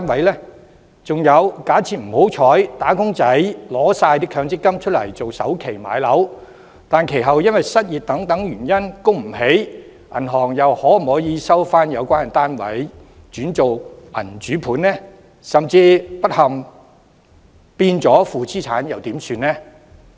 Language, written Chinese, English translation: Cantonese, 還有，假設"打工仔"取走所有強積金作為置業的首期，但不幸地，其後因失業等原因而無法償還按揭，銀行可否收回相關單位轉為銀主盤；甚至不幸地相關單位變為負資產，又應怎辦？, Furthermore if wage earners withdraw all of their MPF funds to pay the down payment of home purchase but unfortunately they subsequently become unable to repay the mortgages due to unemployment or other reasons can the banks foreclose the properties concerned and turn them into repossessed residential properties? . What should be done if these properties concerned unfortunately become negative equity assets?